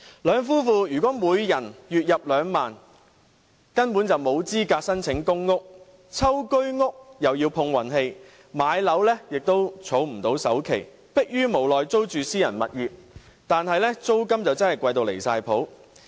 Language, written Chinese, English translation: Cantonese, 兩夫婦如果每人月入2萬元，根本沒有資格申請公屋，抽居屋又要碰運氣，想買樓又儲不到首期，逼於無奈要租住私人物業，租金真的貴得離譜。, If the husband and the wife of a couple each earns a monthly income of 20,000 they are utterly ineligible to apply for public housing . If they want to buy a Home Ownership Scheme unit they have to count on luck . And even if they want to buy a private property they are unable to save up a sufficient sum as down payment